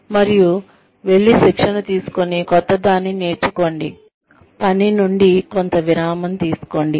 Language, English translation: Telugu, And, go and train, learn something new, take a break from work